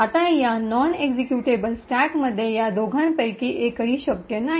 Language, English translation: Marathi, Now with this non executable stack one of these two is not possible